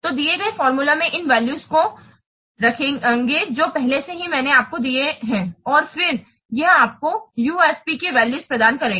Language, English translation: Hindi, So, use these values in the given formula that I already have given you and then it will give you this values of UFP